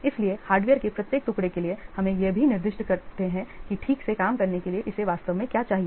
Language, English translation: Hindi, Then for each piece of hardware specify what it needs in order to function properly